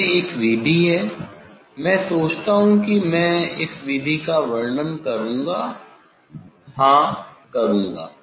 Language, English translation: Hindi, this is one method; I think I will describe this method yes